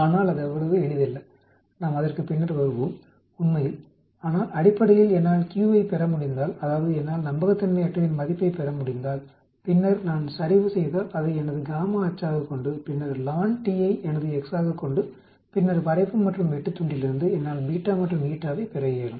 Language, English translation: Tamil, But it is not so simple we will come across that later actually, but basically if I am able to get a q that is if I am able to get a unreliability value, then if I plot, keep that as my y axis and then ln as my x then, from the slope and intercept I should be able to get beta and eta